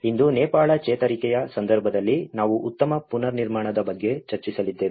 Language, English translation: Kannada, Today, we are going to discuss about build back better in the case of Nepal recovery